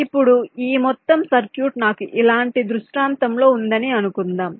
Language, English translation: Telugu, now, suppose this entire circuit i have in a scenario like this